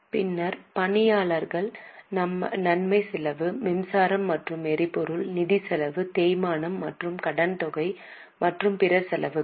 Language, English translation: Tamil, Then employee benefit expense, power and fuel, finance cost, depreciation and amortization and other expenses